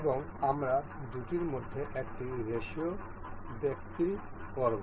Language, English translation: Bengali, And we will sell set one ratio between these two